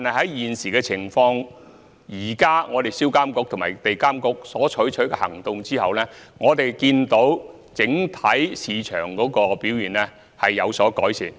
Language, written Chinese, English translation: Cantonese, 不過，現時的情況是，在銷監局和地監局採取行動後，我們看到整體市場的表現有所改善。, However the situation currently is that after SRPA and EAA have taken action we can see that there are improvements in overall market behaviour